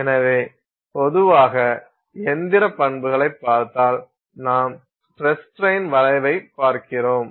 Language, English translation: Tamil, So, if you see here, if you look at mechanical properties in general, you are looking at a stress strain curve